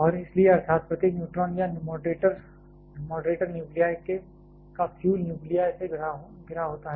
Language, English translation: Hindi, And therefore, that is every neutron is surrounded either by moderator nuclei or fuel nuclei